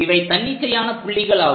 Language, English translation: Tamil, These are arbitrary points